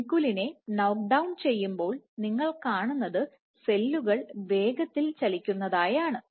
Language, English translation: Malayalam, When you knockdown vinculin, what you see is the cells become faster migration